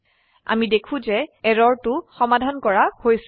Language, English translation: Assamese, We see that the error is resolved